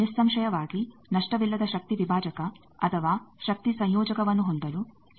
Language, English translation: Kannada, Now obviously, we will want that, it is always desired to have a lossless power divider or power combiner